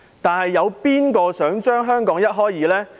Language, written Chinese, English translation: Cantonese, 但有誰想把香港一開為二？, Who want to tear Hong Kong apart?